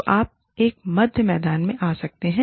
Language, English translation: Hindi, So, you can come to a middle ground